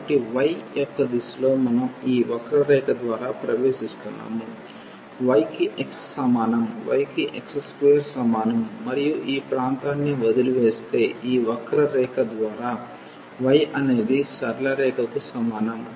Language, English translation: Telugu, So, in the direction of y we are entering through this curve x is equal to y is equal to x square and leaving this area, by this curve y is equal to x the straight line